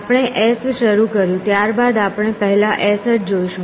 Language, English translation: Gujarati, We started s then in the first on we look at only s